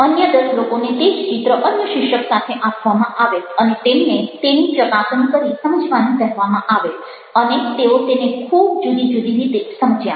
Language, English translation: Gujarati, another ten people were given the same image with another title and they were asked to assess it and understand it